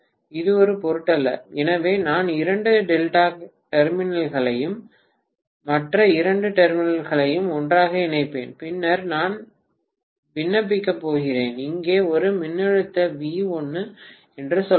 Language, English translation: Tamil, It does not matter, so I will simply connect two terminals together and the other two terminals together and then I am going to apply let us say a voltage V1 here